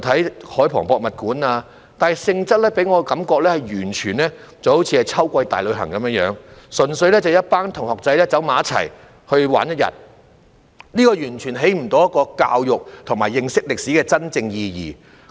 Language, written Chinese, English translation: Cantonese, 便是海防博物館，但其性質給我的感覺是完全好像秋季大旅行般，純粹是一班同學聚在一起玩一天，完全不能起到教育和認識歷史真正意義的作用。, But the nature of the visit gave me the impression that it was just like an autumn school trip . A group of students simply gathered together for a day of fun . It could not serve the purpose of education and understanding the true meaning of history at all